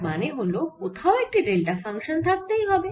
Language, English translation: Bengali, so that means there must be a delta function somewhere